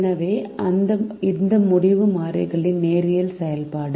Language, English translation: Tamil, so its linear function of the decision variables